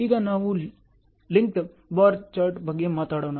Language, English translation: Kannada, Now let us talk about the Linked bar chart